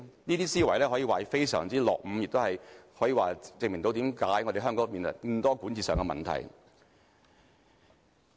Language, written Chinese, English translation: Cantonese, 這些思維可以說是非常落伍，亦可證明為何香港有這麼多管治問題。, Such kind of thinking is really behind the times . This can also explain why there are so many governance problems in Hong Kong